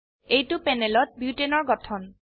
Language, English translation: Assamese, This is the structure of butane on the panel